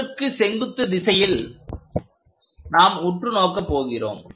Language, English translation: Tamil, In the perpendicular direction to that object we are trying to look at